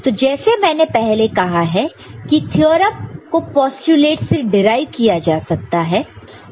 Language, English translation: Hindi, And as I said it can be the theorems can be developed from postulates